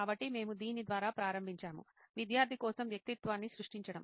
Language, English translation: Telugu, So we will start off by creating the persona for the student